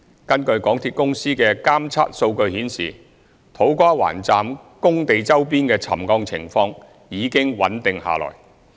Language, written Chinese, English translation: Cantonese, 根據港鐵公司的監測數據顯示，土瓜灣站工地周邊的沉降情況已經穩定下來。, The monitoring data submitted by MTRCL indicate that the settlement in the vicinity of To Kwa Wan Stations works sites has become stabilized